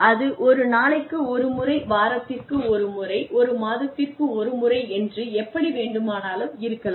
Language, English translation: Tamil, Maybe once a day, maybe once a week, maybe once a month, etcetera